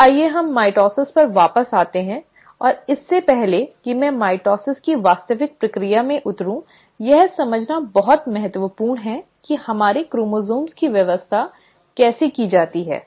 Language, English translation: Hindi, So let us come back to mitosis and before I get into the actual process of mitosis, it is very important to understand how our chromosomes are arranged